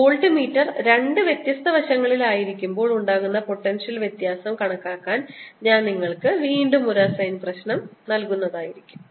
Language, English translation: Malayalam, i'll again give you an assignment problem in this to calculate the potential difference when the voltmeter is on the two different sides